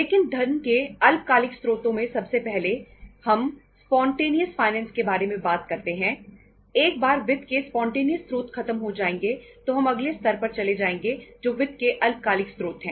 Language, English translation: Hindi, But in the short term sources of the funds, first we talk about the spontaneous finance and once the spontaneous source of the finance is exhausted then we move to the next level that is the short term sources of the finance